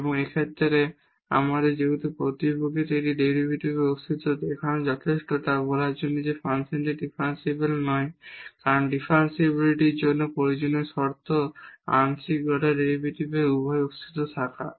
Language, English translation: Bengali, And, in this case since in fact, showing the existence of one of the derivatives is enough to tell that the function is not differentiable because the necessary condition for differentiability is the existence of both the partial order derivatives